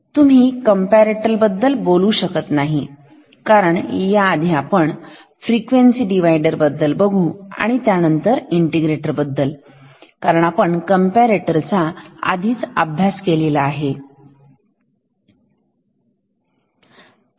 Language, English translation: Marathi, We will first talk about the frequency divider and then about the integrator, first frequency divider because it is easy ok